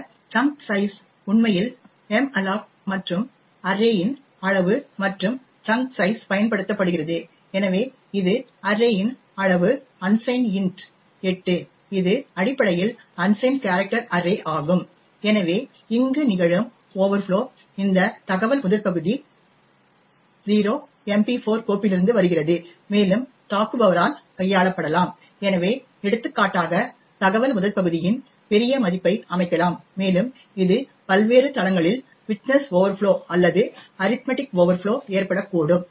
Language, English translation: Tamil, This chunk size is used to actually malloc and array of size plus chunk size, so this is array of size of unsigned int 8 which is essentially an unsigned character array, so the overflow that is occurring here is because of the fact that this header 0 comes from the MP4 file and could be manipulated by the attacker, so for example a large value of header could be set and it could cause widthness overflow or arithmetic overflows on various platforms